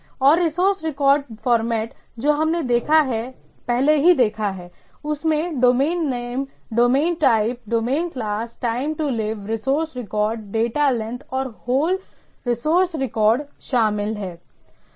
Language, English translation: Hindi, And resource record format we have seen already that domain name, domain type, domain class, time to live, resource record, data length and the whole resource record